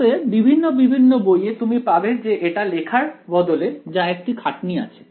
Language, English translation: Bengali, So, in many books you will find that instead of writing it this was slightly cumbersome to write